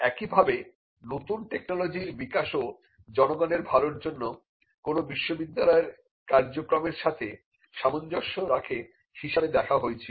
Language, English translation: Bengali, Similarly, developing new technologies was also seeing as being in alignment with the function of a university to do public good